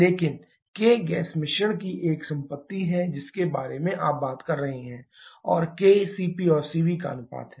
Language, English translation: Hindi, But k is a property of the gas mixture that you are talking about and k is a ratio of CP and Cv